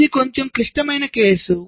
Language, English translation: Telugu, this is a slightly more complex case